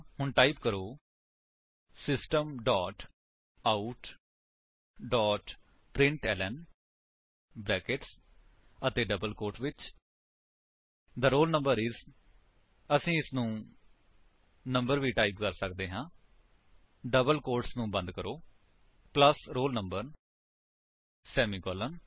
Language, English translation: Punjabi, So, type System dot out dot println within brackets and double quotes The roll number is we can type it as number is, close the double quotes plus roll number semicolon